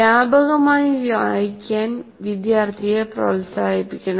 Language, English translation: Malayalam, And then by and large, the student should be encouraged to read widely